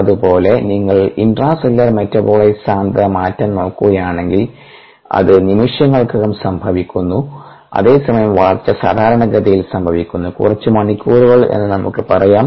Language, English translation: Malayalam, similarly, if you look at the intracellular metabolite concentration change, it happens over seconds where, as growth typically happens over, lets say, of few, lets say over ah characteristic times of hours